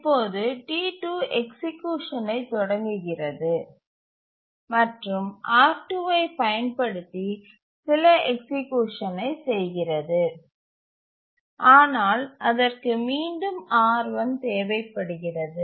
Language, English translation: Tamil, It does some executions using R2, but then it needs R1